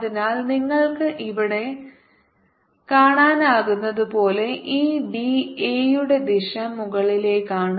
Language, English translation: Malayalam, so the direction of this d a, it's upwards, as you can see here